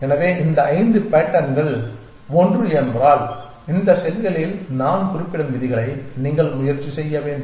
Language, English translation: Tamil, So, these five patterns if they are one and maybe you should try the rules that I just mention on this, these cells